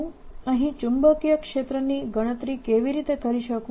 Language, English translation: Gujarati, how do i calculate the magnetic field here